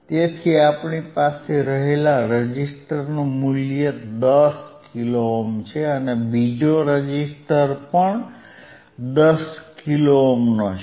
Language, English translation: Gujarati, So, what is the value of resistor that you have is 10 k 10 k and the another resistor is